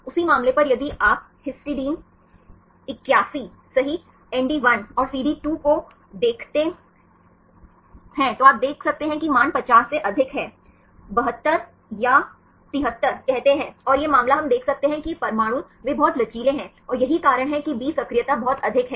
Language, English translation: Hindi, On the same case if you see the histidine 81 right ND1 and CD2 right here you can see the values are more than 50, say 72 or 73, and this case we can see that these atoms they are highly flexible and this is why the B factors are very high